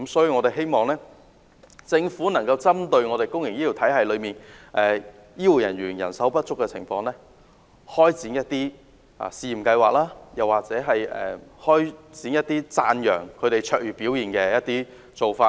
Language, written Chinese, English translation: Cantonese, 我們希望政府能夠針對公營醫療體系裏，醫護人員人手不足的情況，開展一些試驗計劃，或者推行一些讚揚他們卓越表現的活動。, In the face of manpower shortage in the public health care system we hope the Government can carry out some pilot projects to tackle the problem or launch some plans to recognize personnel with outstanding performance